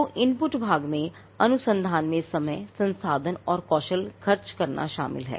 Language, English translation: Hindi, So, the input part involves spending time, resources and skill in research